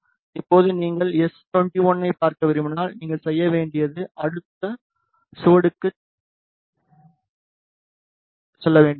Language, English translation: Tamil, Now, if you want to see s 21 all you need to do is move to next trace, ok